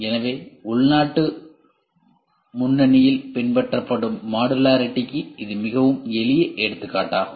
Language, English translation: Tamil, So, that is a very simple example for modularity followed in domestic front